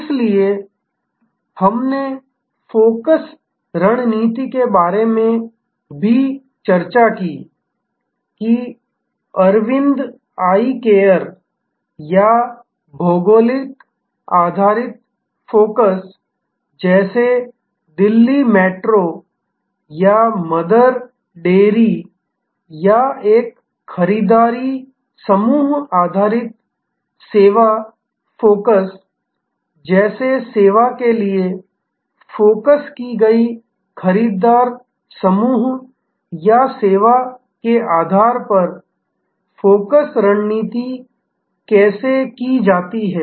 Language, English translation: Hindi, So, we discussed about the focus strategy also how the focus strategy be done on the basis of the buyer group or service offered like Arvind Eye Care or geographic based focus like Delhi Metro or Mother Dairy or a buyer group based service focus like say service for creating residential blocks and services for Jal Vayu Sena